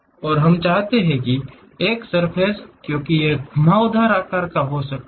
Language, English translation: Hindi, And, we would like to because it is a surface it might be having a curved shape